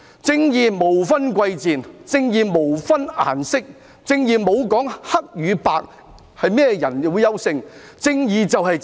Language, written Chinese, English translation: Cantonese, 正義無分貴賤，正義無分顏色，正義沒說黑與白種人誰較優勝，正義便是正義。, Justice knows no distinction between the rich and the poor and knows no colour . Justice does not say who is superior black or white . Justice is justice